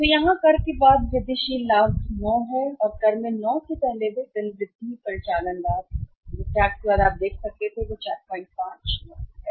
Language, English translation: Hindi, So, here incremental profit after tax is 9 sorry intimate operating profit before tax in 9 and after tax you can see it is 4